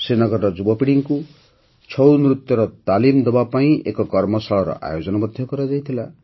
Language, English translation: Odia, A workshop was also organized to impart training in 'Chhau' dance to the youth of Srinagar